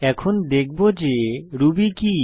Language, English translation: Bengali, Now I will explain what is Ruby